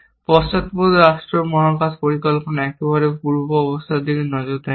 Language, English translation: Bengali, Backward state space planning does not look at pre conditions at all